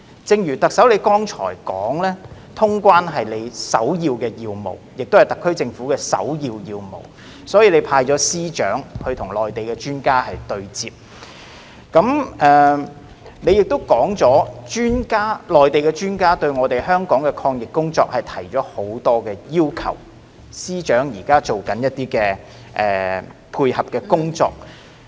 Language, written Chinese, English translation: Cantonese, 正如特首你剛才說，通關是你首要的要務，亦是特區政府首要的要務，所以你已派司長與內地專家對接；你亦說內地專家對香港的抗疫工作提出了不少要求，司長現在進行一些配合工作。, Chief Executive you have said earlier that you and the SAR Government have accorded top priority to the resumption of quarantine - free travel and thus you have asked the Chief Secretary to establish a dialogue with Mainland experts; you have also said that Mainland experts have set out a number of requirements on the anti - epidemic work of Hong Kong and the Chief Secretary is now undertaking some coordination work